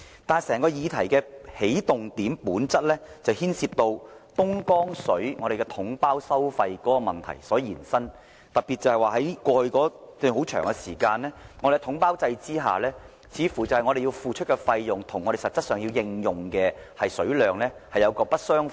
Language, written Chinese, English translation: Cantonese, 但是，整個議題源於東江水統包收費問題的延伸，特別是過去一段很長時間，在統包制下，似乎我們付出的費用跟我們實際的用水量並不相符。, However the whole issue originates from the ramification of package deal for purchasing Dongjian water . In particular for a very long time in the past the fees we paid under the package deal system did not seem to match the actual quantities of water we used